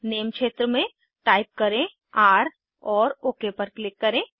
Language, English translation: Hindi, In the name field, type r and click on OK